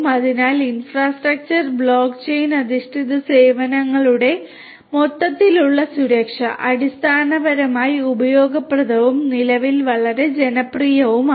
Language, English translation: Malayalam, So, overall security of the infrastructure block chain based services, basically are useful and are quite popular at present